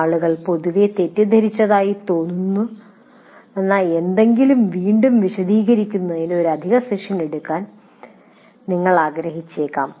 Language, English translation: Malayalam, So you may want to take an extra session to re explain something that where people seem to have generally misunderstood